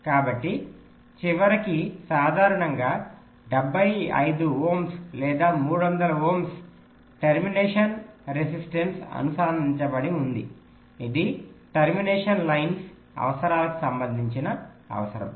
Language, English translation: Telugu, so at the end there was typically a seventy five ohm or three hundred ohm termination resistance which was connected